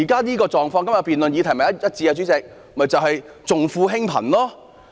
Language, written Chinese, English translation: Cantonese, 這狀況與現時辯論的議題正好一致，主席，就是重富輕貧。, This scenario is cognate with the question of the present debate President that is attending to the rich but neglecting the poor